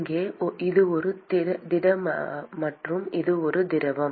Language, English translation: Tamil, Here, this is a solid and this is a liquid